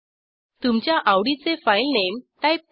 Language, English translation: Marathi, Type the file name of your choice